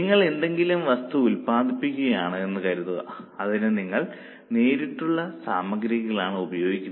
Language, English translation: Malayalam, Suppose you are producing some item, it is consuming direct material